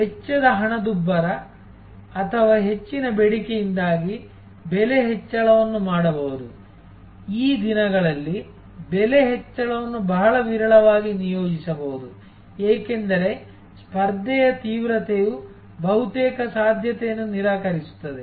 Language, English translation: Kannada, Price increase can be done due to a cost inflation or over demand, these days of course, price increase can be very seldom deployed, because the competition intensity almost a negates the possibility